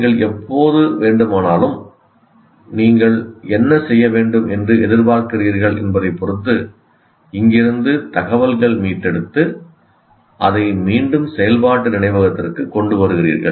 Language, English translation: Tamil, And whenever you want, depending on what you are expected to do, you retrieve information from here and bring it back to the working memory, let's say to solve a problem